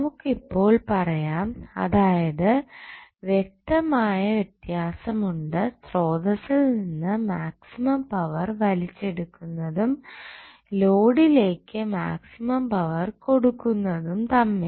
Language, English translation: Malayalam, So, what we can say now, that, there is a distinct difference between drawing maximum power from the source and delivering maximum power to the load